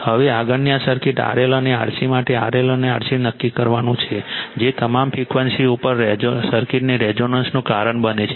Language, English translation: Gujarati, Now, next one is determine your determine R L and R C for this circuit R L and R C which causes the circuit to be resonance at all frequencies right